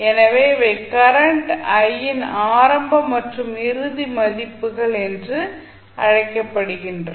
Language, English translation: Tamil, So, these are called initial and final values of current i